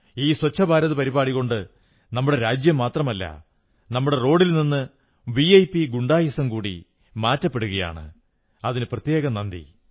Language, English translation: Malayalam, And the Swachch Bharat Campaign that you have launched will not only clean our country, it will get rid of the VIP hegemony from our roads